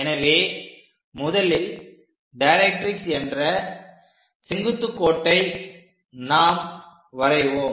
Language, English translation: Tamil, So, first of all draw a directrix line a vertical directrix line we are going to construct